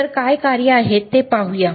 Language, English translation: Marathi, So, let us see what are the functions